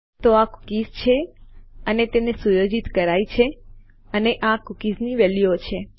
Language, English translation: Gujarati, So these are cookies and they have been set and these are the values of the cookies